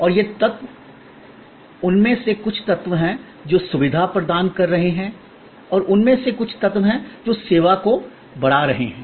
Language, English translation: Hindi, And these elements, some of them are elements, which are facilitating and some of them are elements, which are augmenting the service or enhancing the service